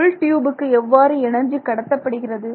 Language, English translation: Tamil, How does it transfer energy to the inner tube